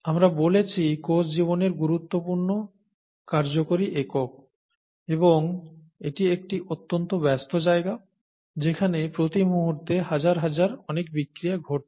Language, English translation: Bengali, We said, cell is the fundamental functional unit of life and it’s a very busy place, a lot of reactions happening all the time, thousands of reactions happening all the time